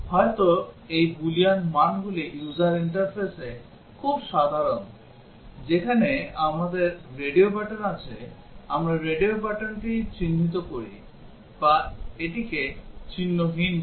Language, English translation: Bengali, Maybe these Boolean values are very common in user interfaces, where we have radio buttons either we mark it the radio button or unmark it